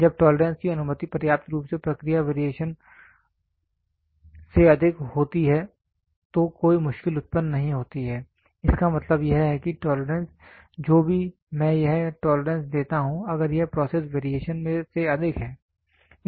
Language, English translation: Hindi, When the tolerance allowed is sufficiently greater than the process variations no difficultly arises; that means to say the tolerance whatever I give this tolerance if it is higher than the process variation